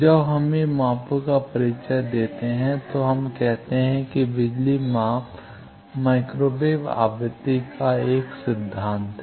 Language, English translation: Hindi, When we introduce measurements, we say that power measurement is another very fundamental being at micro wave frequency